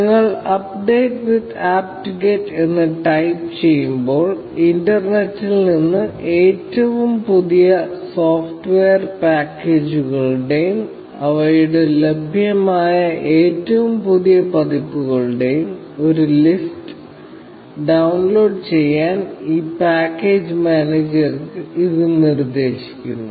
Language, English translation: Malayalam, When you type update with apt get, it instructs this package manager to download a list of all the latest software packages, and their latest available versions, from the internet